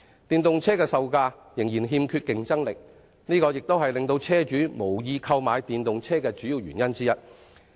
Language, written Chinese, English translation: Cantonese, 電動車的售價至今仍欠缺競爭力，這亦是令車主無意購買電動車的主要原因之一。, EV prices have remained uncompetitive so far and this is a major reason why car owners do not want to buy EVs